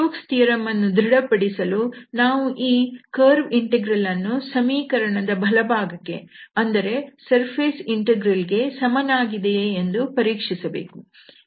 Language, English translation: Kannada, So, the Stokes theorem that we need to verify this curve integral we need to verify the right hand side the surface integral, we already know that how to compute surface integral